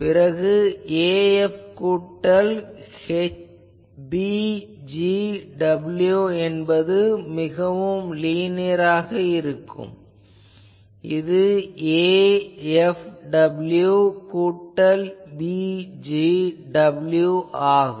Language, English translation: Tamil, Then there will be a f plus b g w is so linearity sort of thing a f w plus b g w